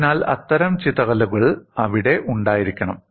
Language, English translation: Malayalam, So, that kind of scatter should be there